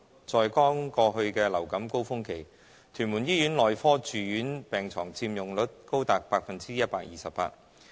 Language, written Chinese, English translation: Cantonese, 在剛過去的流感高峰期，屯門醫院內科住院病床佔用率高達百分之一百二十八。, During the last peak season of influenza the medical inpatient bed occupancy rate of TMH was as high as 128 %